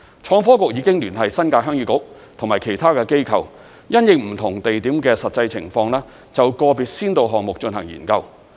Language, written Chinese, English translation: Cantonese, 創科局已經聯繫新界鄉議局及其他機構，因應不同地點的實際情況，就個別先導項目進行研究。, The Innovation and Technology Bureau has contacted the Heung Yee Kuk NT . and other organizations and it will conduct studies on individual pilot schemes in relation to the practical situations of individual rural areas